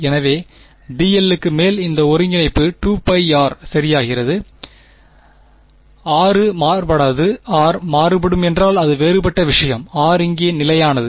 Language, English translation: Tamil, So, this integral over d l simply becomes 2 pi r ok, r is not varying; if r were varying then it would be different thing r is constant over here